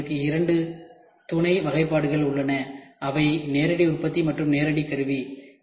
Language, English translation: Tamil, In this we have two sub classifications which is direct manufacturing and direct tooling